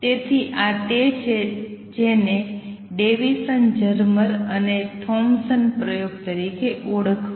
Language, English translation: Gujarati, So, this is what is known as Davisson Germer experiment also Thompson’s experiment